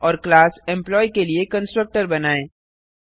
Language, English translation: Hindi, And Create a constructor for the class Employee